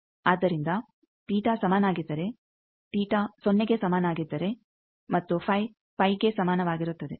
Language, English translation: Kannada, So, if theta is equal to 0 and phi is equal to phi